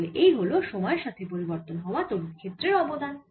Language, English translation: Bengali, so this is the contribution due to time, varying electric field